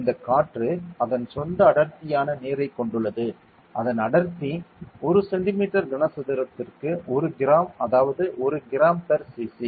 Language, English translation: Tamil, This air also has its density water has its density of like 1 gram per centimetre cube 1 gram per cc right